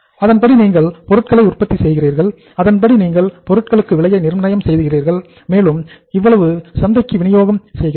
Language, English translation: Tamil, Accordingly you are manufacturing the products, accordingly you are pricing the products and distributing the product in the market